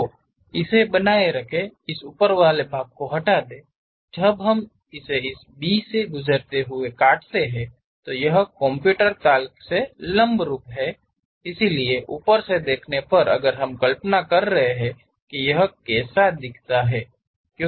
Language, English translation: Hindi, So, retain this, remove this top portion; when we slice it passing through this B, normal to this computer plane, so from top view if we are visualizing how it looks like